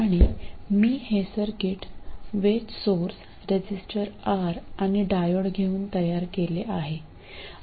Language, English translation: Marathi, And let me take this circuit with a voltage source, a resistor R and a diode